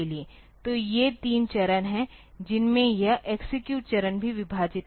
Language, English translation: Hindi, So, these are the three stages into which this the execute stage is also divided